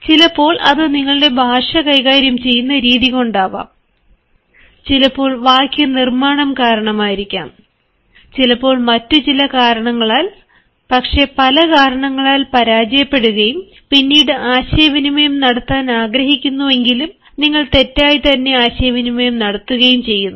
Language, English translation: Malayalam, sometimes it is because of your language, sometimes it is because of the structural pattern, sometimes because of the sentence construction, sometimes because of some other reasons, but then your communication fails, and it fails because of a number of regions